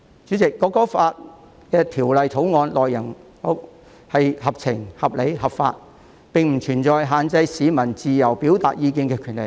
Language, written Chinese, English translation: Cantonese, 主席，《條例草案》的內容合情、合理、合法，並不存在限制市民自由表達意見的權利。, Chairman the content of the Bill is fair reasonable and legitimate whereas it will not restrict the rights for members of the public to express their opinions freely